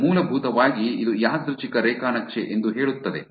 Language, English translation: Kannada, It basically says that it is a random graph